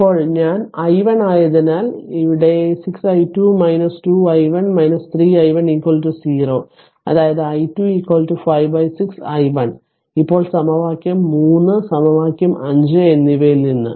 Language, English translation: Malayalam, Now, since I is equal to i 1 right therefore, you put here 6 i 2 minus 2 i 1 minus 3 i 1 is equal to 0; that means, i 2 is equal to 5 upon 6 i 1; now from equation 3 and equation 5 right